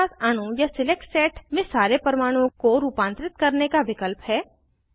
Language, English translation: Hindi, We have an option to modify all the atoms in the molecule or a select set